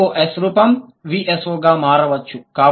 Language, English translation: Telugu, VSO might go to SVO and VOS